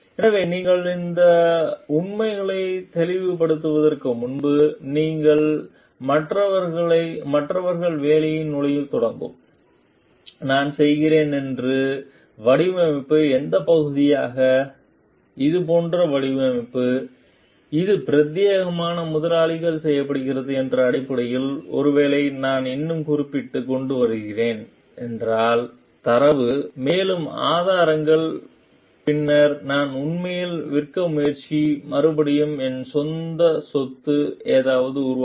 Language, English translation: Tamil, So, you need to like clarify these facts before, you start entering into work with others like, which part which part of the design that I am doing like which are the design, which is exclusively done for the employers and like if based on that maybe I am bringing in more referring to more data, more sources and then I am trying to really sell replant develop something on of my own